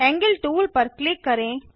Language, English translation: Hindi, Click on the Angle tool..